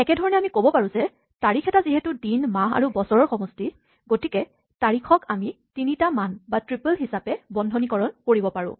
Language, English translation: Assamese, Similarly, we can say that a date is made up of three parts a day, a month, and a year; and we can encloses into a three value or triple